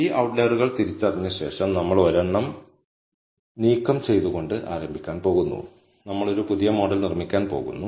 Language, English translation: Malayalam, So, after identifying these outliers, we are going to start by removing one at a time and we are going to build a new model